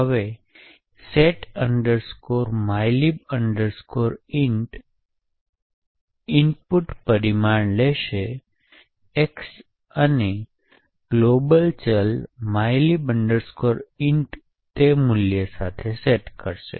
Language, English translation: Gujarati, Now, the setmylib int essentially would take an input parameter X and set the global variable mylib int with that particular value